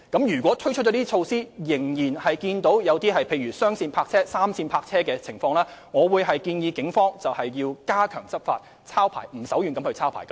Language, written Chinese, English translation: Cantonese, 如果推出這些措施後，仍然出現雙線泊車、3線泊車的情況，我會建議警方加強執法，"抄牌"不手軟。, If following the implementation of such initiatives there are still problems of double parking and triple parking I will advise the Police to step up law enforcement and not to be lenient in issuing penalty tickets